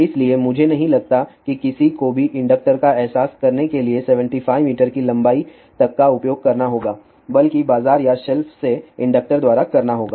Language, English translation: Hindi, So, I do not think anybody would like to use up to 75 meter length just to realize a inductor one would rather by a inductor from the market or of the shelf